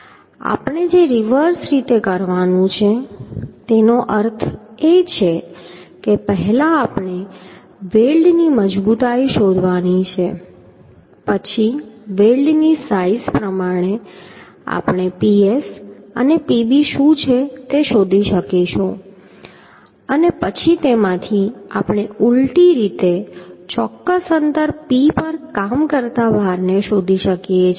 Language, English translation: Gujarati, The reverse way we have to do that means first we have to find out the strength of the weld then according to the size of the weld we will can find out what is the Ps and Pb then from that we can in a reverse way we can find out the load acting at a particular distance P that also we can find out